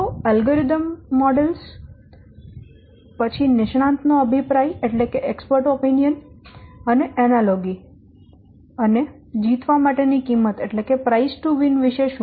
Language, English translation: Gujarati, So, what about algorithm models, expert opinion, analogy, price to win